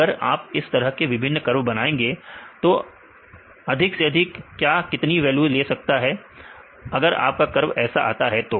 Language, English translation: Hindi, If you make different curves like this what is the maximum value it can take; if your curve goes like this